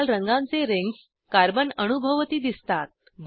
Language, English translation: Marathi, Red colored rings appear around the carbon atoms